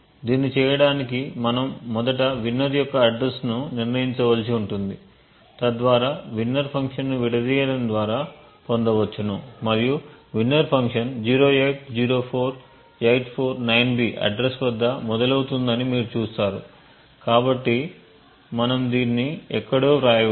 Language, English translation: Telugu, In order to do this we would first require to determine the address of winner so that would can be obtained by disassemble of the winner function and you would see that the winner function starts at the address 0804849B, so we could actually write this down somewhere